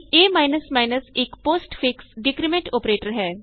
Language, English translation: Punjabi, a is a postfix decrement operator